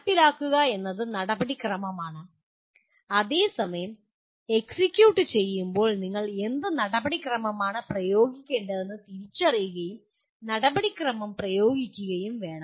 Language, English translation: Malayalam, Implement is use the procedure whereas in execute you have to identify what procedure to be applied and then apply the procedure